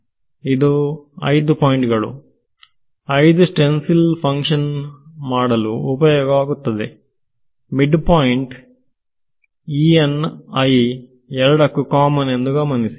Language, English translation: Kannada, So, these are the five points five points stencil which is used to evaluate this function notice the midpoint is common E n i is common alright